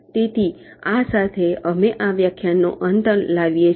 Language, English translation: Gujarati, so with this we come to the end of this lecture